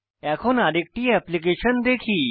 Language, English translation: Bengali, Now lets look at another application